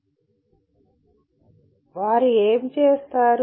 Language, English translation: Telugu, And what do they do